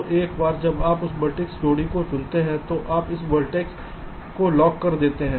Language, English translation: Hindi, ok, so once you find that pair of vertices, you lock this vertice